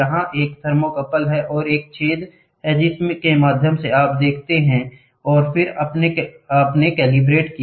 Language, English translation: Hindi, Here is a thermocouple and as a hole through which you see and then you calibrated